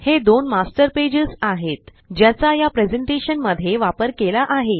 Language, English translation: Marathi, These are two Master Pages that have been used in this presentation